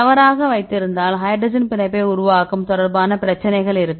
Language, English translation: Tamil, If we wrongly placed then we will have the issues with the hydrogen bond formation right